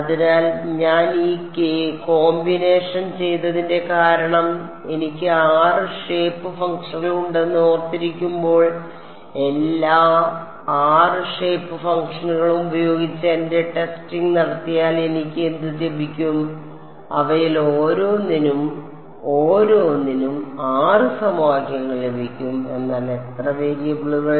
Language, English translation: Malayalam, So, the reason that I did this combination is because remembering I have 6 shape functions if I do my testing with all 6 shape functions what I will get I will get 6 equations for each one of them one for each of them, but how many variables